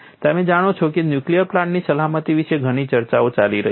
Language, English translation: Gujarati, You know there is lot of discussion goes on about nuclear plant safety